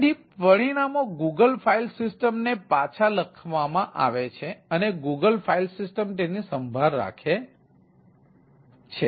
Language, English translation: Gujarati, so the results are written back to the google file system, so the google file system takes care of them